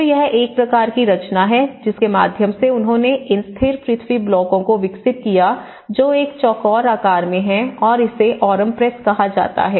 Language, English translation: Hindi, So, that is a kind of composition through which they developed these stabilized earth blocks which are about in a square shape and this is called Aurum press